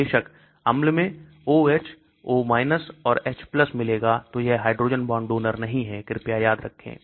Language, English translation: Hindi, Of course, in acidic, O H will become O and H+ then that is not a hydrogen bond donor please remember that